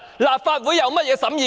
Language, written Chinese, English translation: Cantonese, 立法會有何審議權？, What scrutiny power does this Council have?